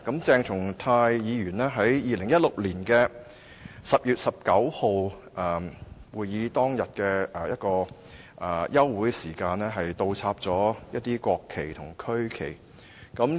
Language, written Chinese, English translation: Cantonese, 鄭松泰議員在2016年10月19日會議當日的休會時間，把一些國旗及區旗倒插。, Dr CHENG Chung - tai inverted a number of national flags and regional flags during the suspension of meeting at the Council meeting on 19 October 2016